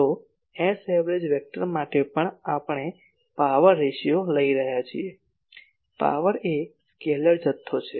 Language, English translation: Gujarati, So, for s average vector but we are taking the power ratio, power is a scalar quantity